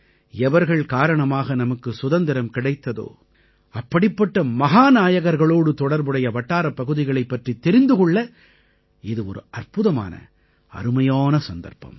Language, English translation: Tamil, In this context, this is an excellent time to explore places associated with those heroes on account of whom we attained Freedom